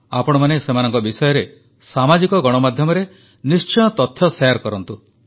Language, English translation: Odia, You must share about them on social media